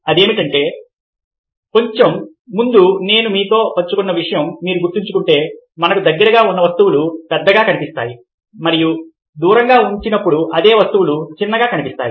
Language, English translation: Telugu, what happens is that, if you remember a little earlier, as i shared with you, that things which are nearer to us looks larger and same things, when they are placed at a distance, looks smaller